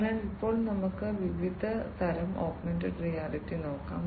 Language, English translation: Malayalam, So, now let us look at the different types of augmented reality